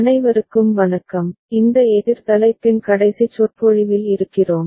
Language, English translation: Tamil, Hello everybody, we are in the last lecture of this counter topic